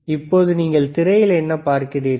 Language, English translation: Tamil, Now, what you see on the screen